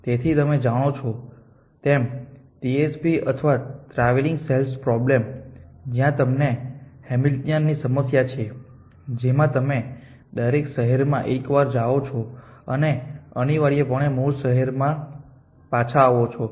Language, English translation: Gujarati, So, as you know the TSP of the travelling salesmen problem the problem where you have to have Hamiltonian cycle b in which you visit every city exactly once and come back to the original cities essentially and 1